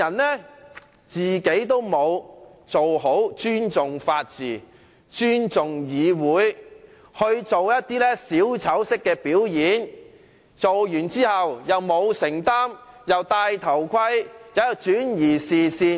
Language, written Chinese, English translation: Cantonese, 他自己沒有好好尊重法治和議會，反而做一些小丑式的表演，表演畢卻不承擔責任，"帶頭盔"，轉移視線。, He has not respected the rule of law and the Council in a proper manner instead he has engaged in some clownish shows . And after the show is finished he has refused to be liable for it . He is acting chicken and trying to divert peoples attention